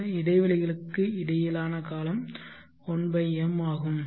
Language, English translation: Tamil, And then the time period between these intervals is